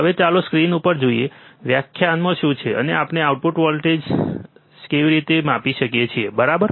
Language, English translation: Gujarati, Now, let us see the on the screen what what the definition is and how we can measure the output offset voltage, right